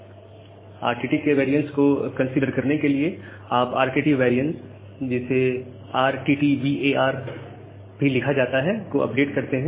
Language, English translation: Hindi, Now, to consider the variance of RTT so, you update the RTT variance variation which is termed as RTTVAR as follows